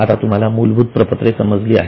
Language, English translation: Marathi, So, you have understood the basic statements now